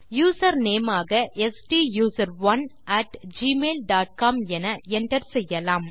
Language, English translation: Tamil, Enter the Email address as STUSERONE at gmail dot com